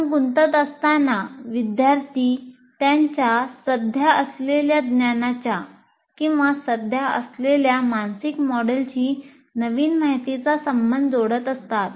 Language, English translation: Marathi, So when they are engaging what are the students doing, they are linking the new information to their existing body of knowledge or existing mental model